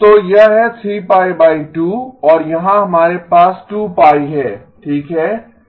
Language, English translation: Hindi, So if this is pi divided by 2, this is pi okay